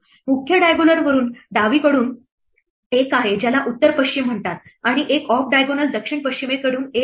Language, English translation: Marathi, The main diagonal is the one from top left which is called north west and the one, the off diagonal is the one from the south west